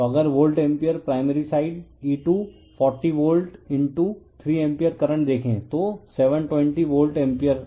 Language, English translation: Hindi, So, if you see the volt ampere primary sidE240 volt * 3 ampere current so, 720 volt ampere right